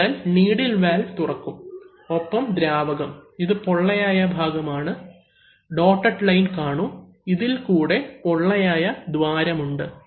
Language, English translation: Malayalam, So, the needle valve will open, and then the fluid, this is actually a hollow, see the dotted lines, so there is a hollow opening through this